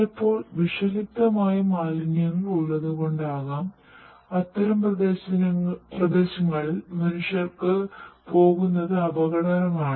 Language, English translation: Malayalam, Maybe because there are toxic wastes and it is dangerous for the human beings to basically go over there